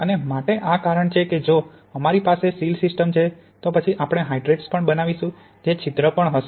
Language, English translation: Gujarati, And for that reason if we have a sealed system then we will also form voids which are also pores